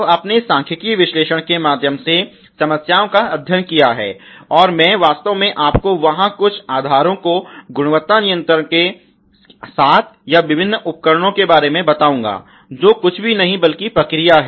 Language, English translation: Hindi, So, you have study the problems by means of this statistical analysis, and I will actually give you some bases there about 7 or different tools of quality control, which a nothing but process